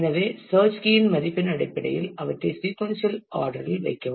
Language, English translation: Tamil, So, based on the value of the search key you put them in the sequential orders